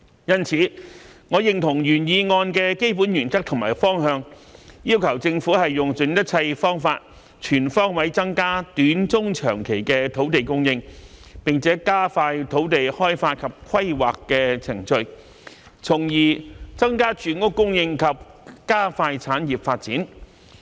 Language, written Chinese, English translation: Cantonese, 因此，我認同原議案的基本原則和方向，要求政府用盡一切方法，全方位增加短、中、長期的土地供應，並加快土地開發及規劃的程序，從而增加住屋供應及加快產業發展。, Therefore I agree with the basic principle and direction of the original motion which requests the Government to exhaust all means to increase the short - medium - and long - term land supply and expedite the land development and planning procedures thereby increasing the housing supply and speeding up industries development